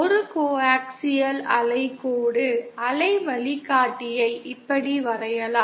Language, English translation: Tamil, A coaxial wave line, waveguide can be drawn like this